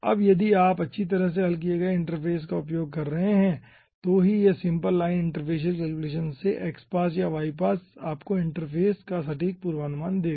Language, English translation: Hindi, now, if you are having well resolved interface, then only this simple line interfacial calculation, whether xpass or ypass, will be giving you the accurate prediction of the interface